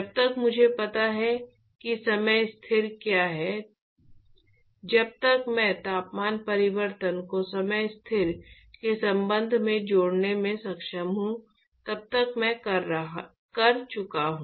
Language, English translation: Hindi, As long as I know what the time constant is, as long as I am able to relate the temperature change with respect to time constant, I am done